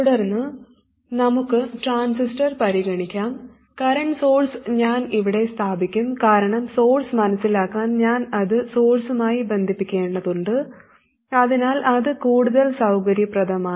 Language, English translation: Malayalam, Now we will study an alternative where we sense the current difference at the transistor and I will place the current source down here because to sensor the source I will have to connect it to the source so that's more convenient